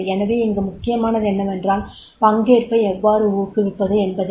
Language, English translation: Tamil, So what makes an important is that is the how to encourage the participation